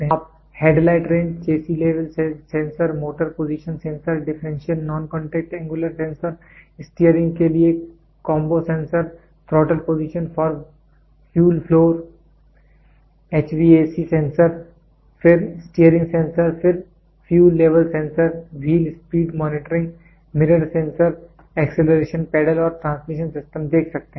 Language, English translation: Hindi, You can see headlight range, chassis level sensor, motor position sensor, differential non contact angular sensor, combo sensor for steering, throttle position for fuel flow, HVAC sensor, then steering sensor, then fuel level sensor, wheel speed monitoring, mirror sensors, acceleration pedals and transmission systems